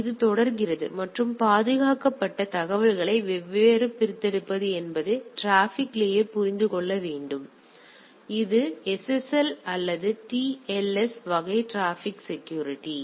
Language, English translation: Tamil, So, it goes on and at the peer transport layer should understand that how to extract the secured information; so, this is the SSL or TLS type of traffic security